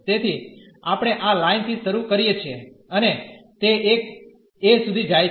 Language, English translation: Gujarati, So, we starts from this line and it goes up to a